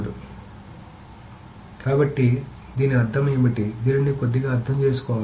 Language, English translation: Telugu, So this needs to be understood in a little bit manner